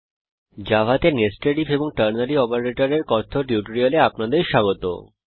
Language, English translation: Bengali, Welcome to the spoken tutorial on Nested If and Ternary Operator in java